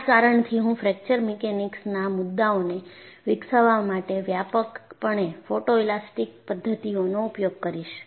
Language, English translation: Gujarati, That is the reason why I said, I would be using extensively photoelastic method for developing the concepts in Fracture Mechanics